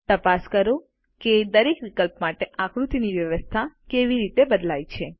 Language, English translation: Gujarati, Check how the placement of figures change for each option